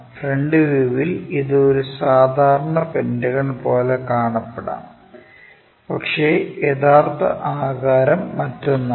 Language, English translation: Malayalam, In the front view, it might look like a regular pentagon, but true shape might be different thing